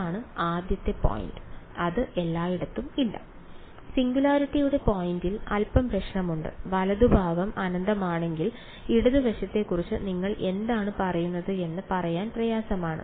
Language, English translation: Malayalam, I mean at the point of the; at the point of the singularity there is a bit of a problems, hard to say if the right hand side is infinity what do you say about the left hand side right